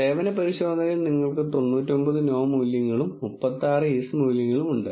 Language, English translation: Malayalam, Let us keep this number in mind we have 99 no values and 36 yes values in the service test